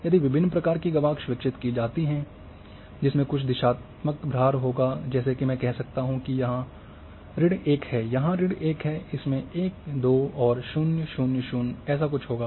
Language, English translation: Hindi, If window of different type can be designed which will have some directional weight like I can say that here is minus 1,here is minus 1, this will have 1 ,2 and say 0, 0, 0 something like this